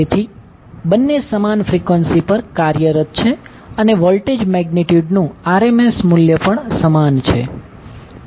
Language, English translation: Gujarati, So, both are operating at same frequency but the and also the RMS value of the voltage magnitude is same, but angle is different